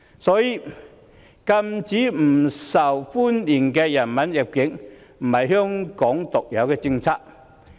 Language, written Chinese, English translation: Cantonese, 所以，禁止不受歡迎人物入境不是香港獨有的政策。, Therefore prohibiting the entry of unwelcome person is not a unique policy of Hong Kong